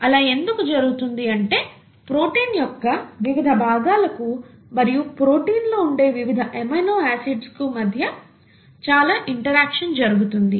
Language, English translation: Telugu, That is because; there is a lot of interaction that happens between the various parts of the protein, the various amino acids in the protein, okay